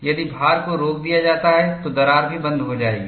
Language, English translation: Hindi, If the load is stopped, crack also will stop